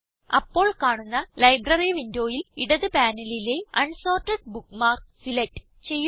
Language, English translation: Malayalam, In the Library window that appears, from the left panel, select Unsorted bookmarks